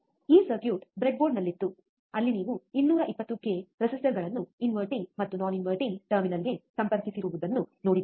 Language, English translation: Kannada, This circuit was there on the breadboard, where you have seen 220 k resistors connected to the inverting and non inverting terminal